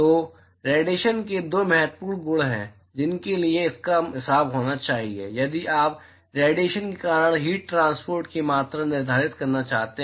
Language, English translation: Hindi, So, these are two important properties of radiation which it needs to be a accounted for if you want to quantify amount of heat transport because of radiation